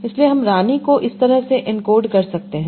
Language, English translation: Hindi, So I can encode queen like this